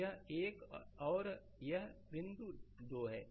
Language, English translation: Hindi, So, this is 1 and this point is 2 right